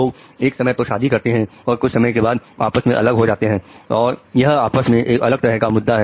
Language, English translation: Hindi, Now people get married during that time or separate during that time that is a different issue altogether